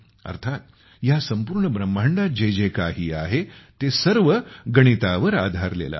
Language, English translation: Marathi, That is, whatever is there in this entire universe, everything is based on mathematics